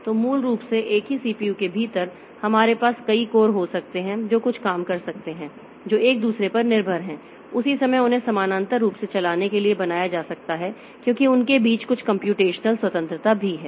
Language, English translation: Hindi, So, basically within the same CPU so we can have a number of course which can do some jobs which are dependent on each other at the same time they can be made to run parallelly because there is some computational independence also between them